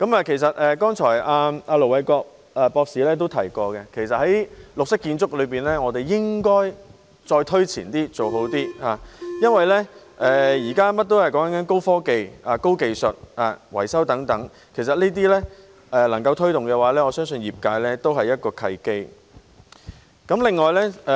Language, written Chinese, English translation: Cantonese, 其實，盧偉國博士剛才也提到，在綠色建築方面，我們應該推前一點，做好一點，因為現時甚麼也講求高科技、高技術，包括維修方面；如果能夠推動這些，我相信對業界來說也是一個契機。, In fact Ir Dr LO Wai - kwok also mentioned earlier on that we should go further and do more with green buildings because nowadays high technology is the name of the game and there is no exception when it comes to maintenance . If we can push ahead on this front I believe it will also represent a good opportunity for the industry